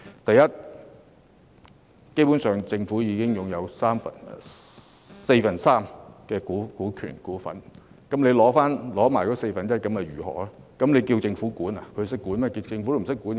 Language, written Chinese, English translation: Cantonese, 第一，政府已經擁有港鐵公司四分之三股份，即使回購餘下的四分之一股份，難道要政府管理港鐵公司嗎？, Firstly the Government already holds 75 % of the shares of MTRCL . Even if the remaining 25 % were bought back would the Government be supposed to manage MTRCL itself?